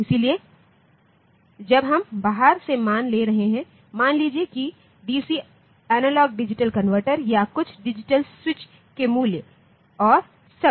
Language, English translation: Hindi, So, when we are taking values from the outside walled in terms of say this a d c analogue digital converter or values of some digital switches and all that